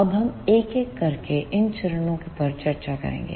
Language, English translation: Hindi, Now, we will discuss these phases one by one